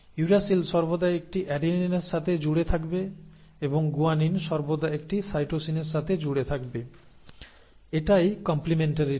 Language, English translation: Bengali, The uracil will always pair with an adenine and guanine will always pair with a cytosine; that is the complementarity